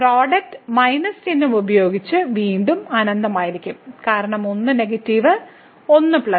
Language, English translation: Malayalam, So, the product will be infinity again with minus sign because one is negative here, one is plus